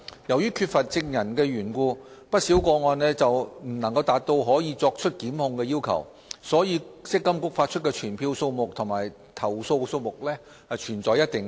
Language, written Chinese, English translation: Cantonese, 由於缺乏證人的緣故，不少個案未能符合作出檢控的要求，以致積金局發出的傳票數目和投訴數目存在一定落差。, In the absence of any witnesses the requirement for prosecution has not been met in quite a number of cases resulting in a certain gap between the number of summonses issued by MPFA and the number of complaints